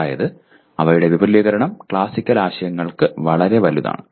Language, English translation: Malayalam, That means their extension is much larger for classical concepts